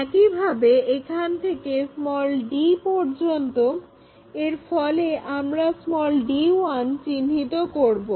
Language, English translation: Bengali, In the similar way from there to d, we will locate d 1